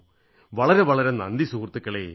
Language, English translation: Malayalam, Thanks a lot my friends, Thank You